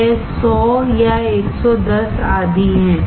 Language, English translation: Hindi, It is 100 or 110 etc